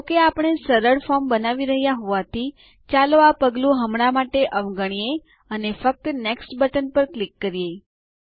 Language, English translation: Gujarati, Since we are creating a simple form, let us skip this step for now and simply click on the Next button